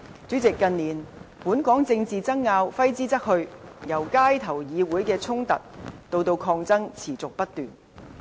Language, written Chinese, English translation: Cantonese, 主席，近年本港政治爭拗揮之不去，由街頭到議會的衝突以至抗爭持續不斷。, President Hong Kong is embedded in political wrangling in this few years . From the street to the Council we are occupied by incessant conflicts and confrontations